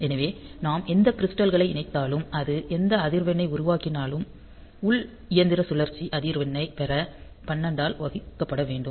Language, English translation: Tamil, So, whatever crystal we connect, whatever frequency it is generated; it is divided by 12 to get the internal machine cycle frequency